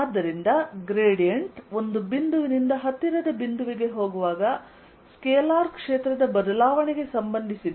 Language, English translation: Kannada, so gradient is related to change in a scalar field in going from one point to a nearby point